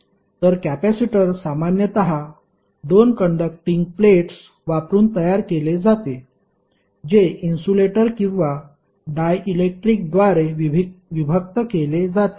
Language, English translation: Marathi, So, capacitor is typically constructed using 2 conducting plates, separated by an insulator or dielectric